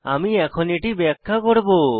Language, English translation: Bengali, I will explain it